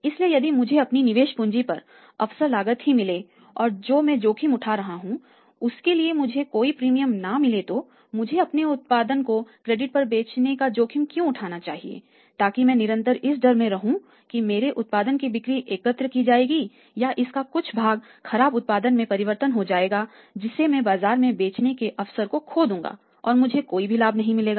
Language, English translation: Hindi, So, if I am only recovering my opportunity cost of capital I am not getting any premium for the risk then why should I take the risk of selling my production on credit then remain under the constant fear whether the sales will be collected or part of the sales will be converted into the bad debts or I will be losing the sales in the market because of the happening of the bad debts so it means if am selling on the credit I am taking the risk also